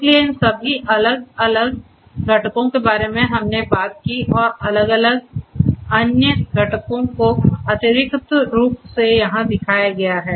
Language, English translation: Hindi, So, all these different components that we talked about and different other components additionally have been shown over here